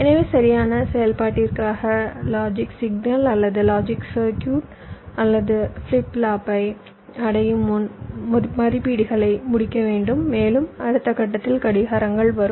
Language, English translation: Tamil, so for correct operation, the logic signal or logic circuitry or must complete it evaluations before ah, it reaches the flip flop and next stage of receive clocks comes